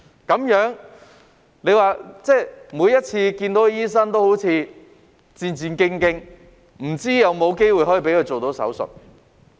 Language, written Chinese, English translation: Cantonese, 這樣，他們每次見醫生都彷彿戰戰兢兢，不知有否機會讓他們做手術。, Therefore their nerves were on edge every time they saw the doctor because they did not know whether they would have a chance to undergo the surgery